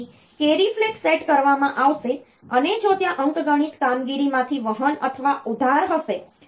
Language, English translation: Gujarati, So, carry flag will be set if there is a carry or borrow from the arithmetic operation